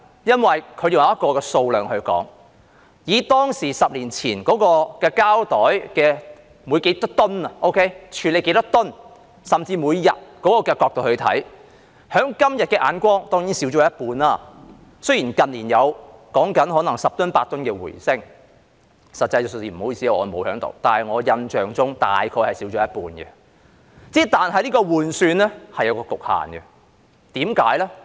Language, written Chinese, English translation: Cantonese, 因為他們是按數量來說，以當時即10年所處理的膠袋數量是多少噸來計算，甚至每天處理的數量這角度來看，今天看來當然已減少一半，雖然近年說有十噸八噸的回升，很抱歉，我沒有實際的數字，但我印象中大約減少一半，只是這種換算是有局限的，為甚麼？, In other words they made calculation based on the number of tonnes of plastic bags being disposed of back then or a decade ago or even from the angle of the daily disposal quantity . Today the quantity certainly seems to have been reduced by half even though it is said to have rebounded upward by 8 or 10 tonnes in recent years . I am sorry that I do not have the actual figures but I have the impression that it has been reduced by about half just that this approach of calculation has limitations